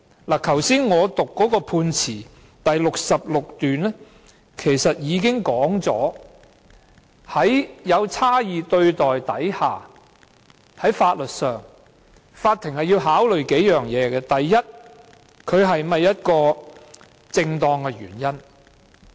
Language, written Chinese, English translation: Cantonese, 我剛才讀出的判詞第66段已述明，對於差異對待，法庭在法律上要考慮數點：首先，它是否正當原因。, Paragraph 66 of the Judgment read out by me just now has already made it clear that with regard to differential treatment the Court must consider several points in law Firstly whether or not the aim is legitimate